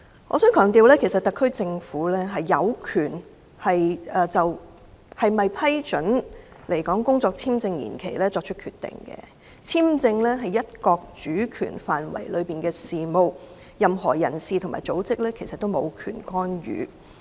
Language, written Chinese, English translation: Cantonese, 我想強調特區政府有權就是否批准來港工作簽證延期作出決定，簽證是"一國"主權範圍內的事務，任何人士和組織均無權干預。, I would like to stress that the SAR Government has the right to decide on the renewal of work visas . Visa matters fall within the sovereignty of one country and no individuals or organizations have the right to interfere